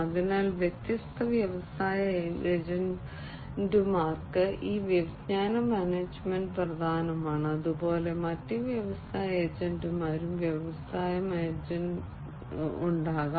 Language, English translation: Malayalam, So, this knowledge management is important for different industry agents, there could be other industry agents, likewise, and industry agent, n